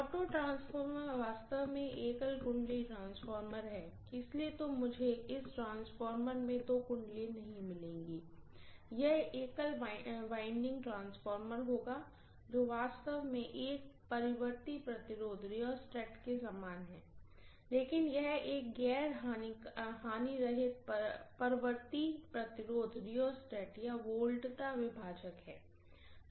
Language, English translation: Hindi, Auto transformer actually is a single winding transformer, so I am not going to have two windings in this transformer, it will be a single winding transformer which actually is very very similar to a rheostat, but it is an non lossy rheostat or potential divider